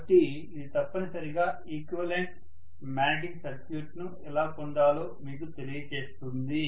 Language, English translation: Telugu, So this essentially tells you how to get an equivalent magnetic circuit